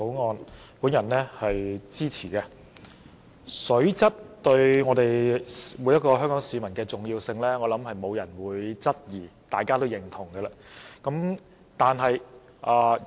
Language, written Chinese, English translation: Cantonese, 我相信沒有人會質疑水質對每位香港市民的重要，這是大家都認同的。, I think no one would query the importance of water quality to all Hong Kong people . It is something that we all agree to